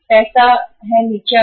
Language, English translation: Hindi, Money has also gone down